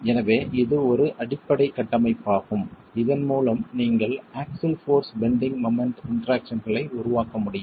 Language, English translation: Tamil, So this is a basic framework with which you can work to develop the axial force bending moment in traction